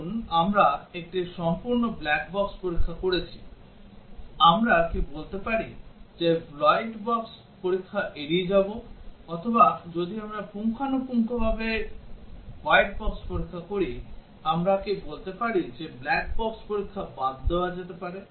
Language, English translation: Bengali, Suppose, we have done a thorough black box testing, can we say that we will skip white box testing; or if we done a thorough white box testing, can we say that black box testing can be skipped